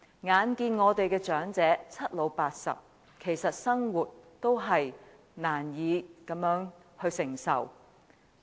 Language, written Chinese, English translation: Cantonese, 眼看我們的長者已屆暮年，其實生活也是難以承受。, We can see that the living of our elderly people is hardly acceptable even though they are already in their twilight years